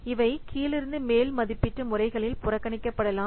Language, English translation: Tamil, Many of these may be ignored in bottom up estimation